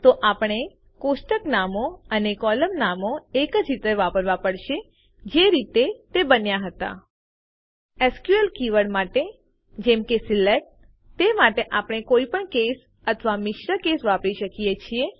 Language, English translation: Gujarati, So, we have to use the table names and column names just the way they are created For SQL keywords like SELECT, we can use any case or mix cases